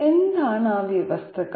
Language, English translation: Malayalam, What are those conditions